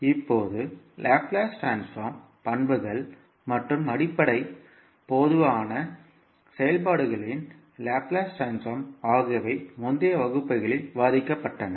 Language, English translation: Tamil, Now, properties of the Laplace transform and the Laplace transform of basic common functions were discussed in the previous classes